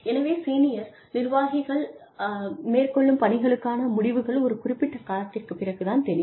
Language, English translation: Tamil, So, senior executives do something, the results of which, become visible, only after a certain period of time